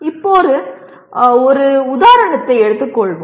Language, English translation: Tamil, Now let us take an example